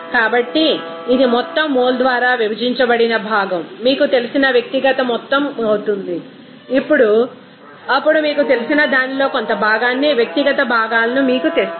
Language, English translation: Telugu, So, it will be simply individual amount of that you know component divided by total mole then you will get that by you know fraction of that you know, individual components